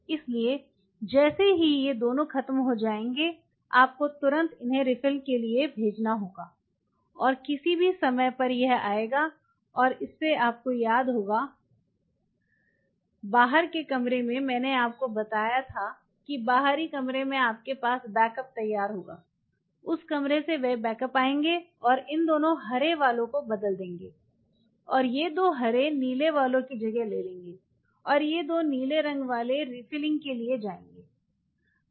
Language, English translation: Hindi, So, as soon as these two are over will have to immediately send them for refill and in anytime this will come and from you remember on the outside you might told you that outer room you will have the backups ready, those backups from that room we will come and replace these two green walls and these two green one we will take the place of the blue ones, and these two blue ones we will go for refilling